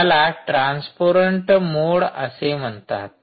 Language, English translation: Marathi, clearly, this is called transparent mode